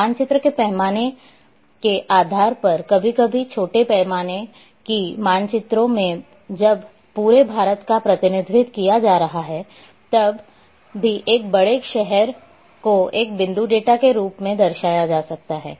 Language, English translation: Hindi, Depending on the scale of a map sometimes in a small scale maps when entire India is being represented then even a large city will be represented as a point data